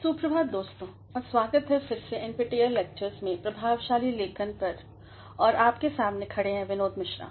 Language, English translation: Hindi, Good morning friends and welcome back to NPTEL lectures on Effective Writing and standing before you is Binod Mishra